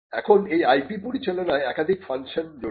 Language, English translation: Bengali, Now, this managing IP involves multiple functions